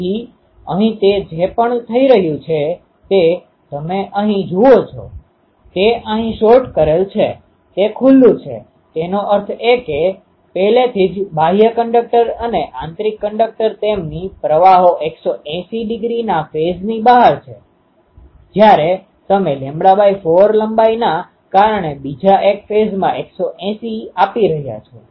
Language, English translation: Gujarati, So, whatever here it is doing you see here the here it is shorted here it is open so; that means, already the outer conductor and inner conductor their currents are 180 degree out of phase you are giving another one 180 out of phase because of this lambda by 4